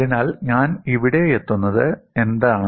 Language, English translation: Malayalam, So, what I get here